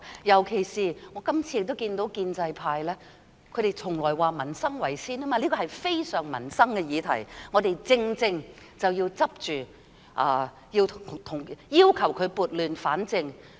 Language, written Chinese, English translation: Cantonese, 尤其是我今次亦看到建制派......他們向來說以民生為先，而這是非常關乎民生的議題；我們正正要抓緊，要求她撥亂反正。, In particular this time I have also seen the pro - establishment camp they always say peoples livelihood is their top priority and this is a matter closely related to the peoples livelihood . We should follow up proactively and request her to set things right